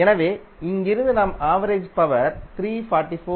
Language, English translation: Tamil, So from here itself you can say that the average power is 344